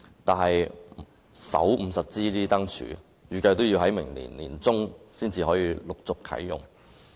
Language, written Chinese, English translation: Cantonese, 但是，首50支燈柱預計要待明年年中才能陸續啟用。, However the first 50 smart lampposts will not be commissioned until the middle of next year